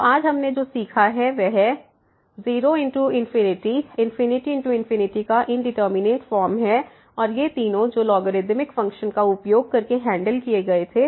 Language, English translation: Hindi, So, what we have learnt today the indeterminate form of 0 into infinity infinity into infinity and these three which were handle using the logarithmic function